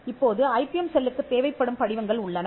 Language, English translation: Tamil, Now, there are forms that the IPM cell will need